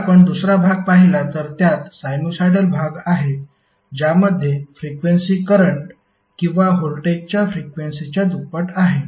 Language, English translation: Marathi, While if you see the second part, it has the sinusoidal part which has a frequency of twice the frequency of voltage or current